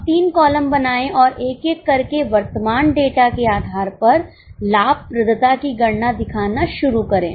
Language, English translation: Hindi, Now make the three columns and one by one start showing the calculating the profitability based on the current data